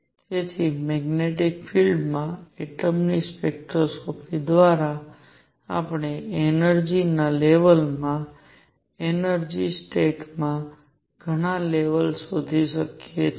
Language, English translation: Gujarati, So, through spectroscopy of atoms in magnetic field, we can find out a number of levels in an energy level, in an energy state